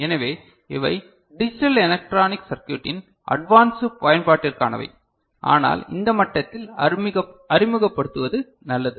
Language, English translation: Tamil, So, these are for advanced level use of digital electronic circuit, but it is good to get introduced at this level, right